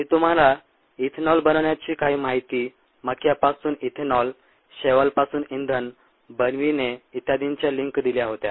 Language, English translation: Marathi, had given you links to some ah information on ethanol making ethanol from corn algae to fuels and so on